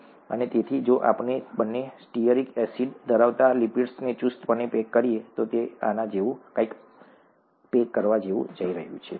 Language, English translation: Gujarati, And therefore, if we tightly pack lipids containing both stearic acids, it is going to pack something like this, okay